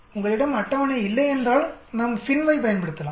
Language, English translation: Tamil, If you do not have a table we can use FINV